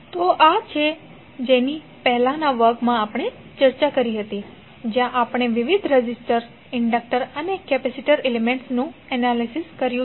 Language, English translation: Gujarati, So this is something which we discussed in the previous class, where we analyse the various resistor, inductor and capacitor elements